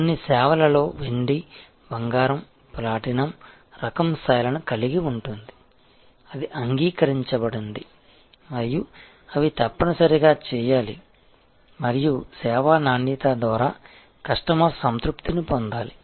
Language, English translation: Telugu, So, it can have silver ,gold ,platinum type of levels in some services; that is accepted and they are that must be done and obtaining customer satisfaction through service quality